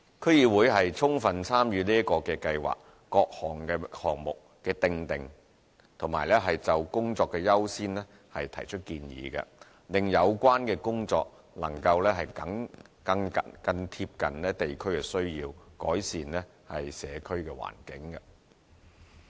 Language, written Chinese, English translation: Cantonese, 區議會充分參與這個計劃下各項目的訂定，並就工作的優先提出建議，令相關工作能更貼緊地區需要和改善社區環境。, DCs have fully participated in the formulation of various projects under this Scheme and advised on the work priority so that the relevant work can better meet local needs and improve the environment of the community